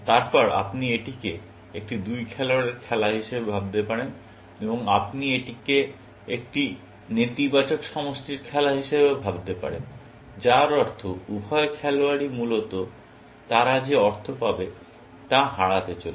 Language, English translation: Bengali, Then, you can think of it as a two player game, and you can also think of it as a negative sum game, which means that both the players as going to lose out on the money that they get, essentially